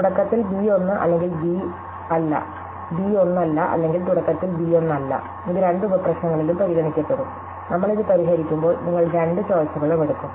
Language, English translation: Malayalam, So, whether we choose b 1 or b not of that b 1 or not b 1 at the beginning, it will be considered in both sub problem and when, we solve that you will take the both choices